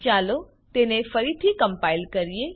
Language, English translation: Gujarati, Let us compile it again